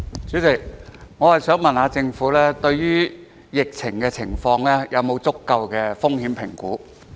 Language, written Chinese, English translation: Cantonese, 主席，我想問政府對於疫情是否有足夠的風險評估？, President I have this question for the Government Has sufficient risk assessment been carried out on the epidemic situation?